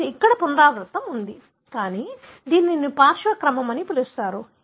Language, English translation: Telugu, You have the repeat here, but this is what you call as the flanking sequence